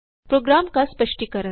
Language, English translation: Hindi, Explain the program